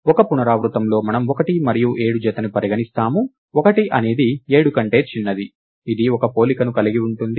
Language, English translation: Telugu, In one iteration, we consider the pair 1 and 7; 1 is smaller than 7, this is this involves one comparison